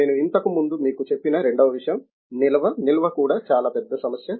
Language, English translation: Telugu, Second thing as I told you before, the storage; storage also is a very big issue